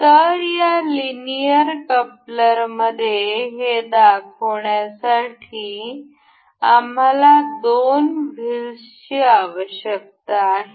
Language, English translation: Marathi, So, we need two wheels to demonstrate in this linear coupler